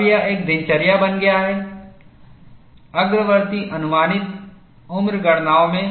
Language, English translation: Hindi, Now, it has become a routine, in advanced life estimation calculations